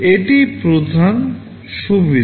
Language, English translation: Bengali, This is the main advantage